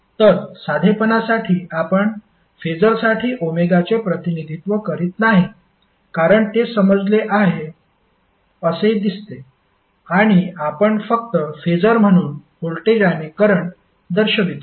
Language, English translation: Marathi, So, for simplicity what we say, we do not represent omega for the phaser because that is seems to be understood and we simply represent voltage and current as a phaser